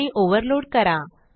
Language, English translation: Marathi, And to overload method